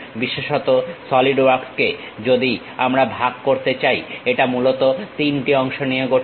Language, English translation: Bengali, Especially, the Solidworks, if we are going to divide it consists of mainly 3 parts